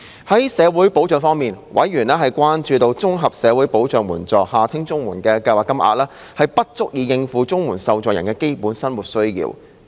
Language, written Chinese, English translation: Cantonese, 在社會保障方面，委員關注到，綜合社會保障援助計劃金額，不足以應付綜援受助人的基本生活需要。, With regards to social security members were concerned that the existing levels of the Comprehensive Social Security Assistance CSSA Scheme payments were inadequate in meeting the basic needs of CSSA recipients